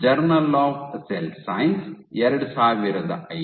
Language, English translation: Kannada, Journal of Cell science 2005